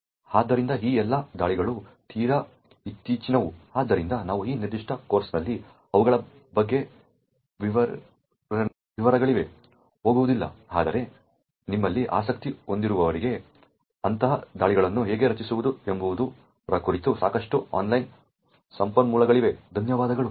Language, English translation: Kannada, So, all of these attacks are quite recent, so we will not go into details about them in this particular course but for those of you who are interested there are a lot of online resources about how to create such attacks, thank you